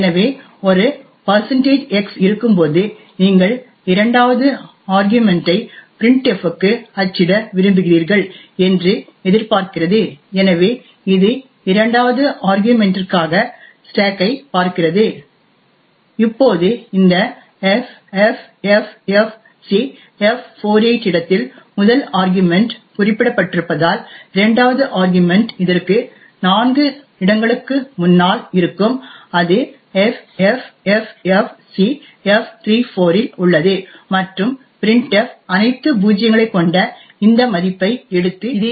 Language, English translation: Tamil, So when there is a %x it expects that you want to print the second argument to printf and therefore it looks to the stack for the second argument, now since the first argument is specified at this location ffffcf48 the second argument would be four locations ahead of this that is at ffffcf34 and printf would pick up this value which is all zeroes and display it on the screen